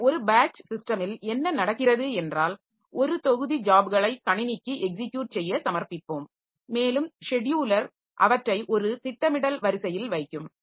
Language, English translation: Tamil, So, in a batch system what happens is that we submit a batch of jobs, a set of jobs to the computer for execution and the scheduler put them in a scheduling queue and one after the other the jobs will be given to the system